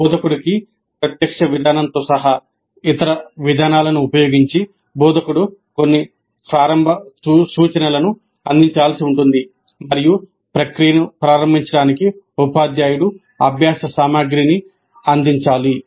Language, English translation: Telugu, So, instructor may have to provide some initial instruction using other approaches including direct approach to instruction and the teacher has to provide the learning materials as well to kickstart the process